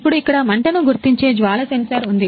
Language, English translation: Telugu, Now here is the flame sensor which are detect for the fire